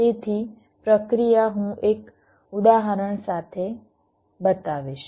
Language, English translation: Gujarati, so the process i will be showing with an example